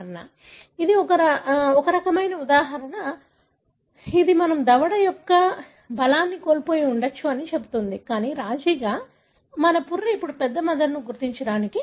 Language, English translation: Telugu, So, this is a kind of an example which tells us that may be we lost the strength of our jaw, but as a compromise our skull now allowed a larger brain to be located